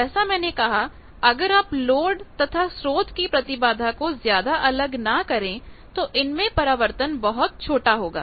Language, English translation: Hindi, As I say that, if you can make the load and source not much different in impedance then the reflection is very small